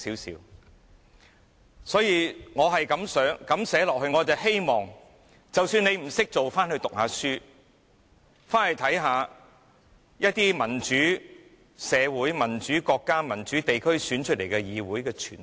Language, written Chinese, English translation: Cantonese, 所以，我這樣子訂明，便是希望主席即使不懂得怎樣做，也可以回去唸一唸書，回去看看一些民主社會、民主國家、民主地區選出來的議會傳統。, Hence my amendment is drafted in the hope that even if the President does not know how to discharge his duties properly he can go back and do some studies on the parliamentary tradition of some democratic societies democratic countries and democratic regions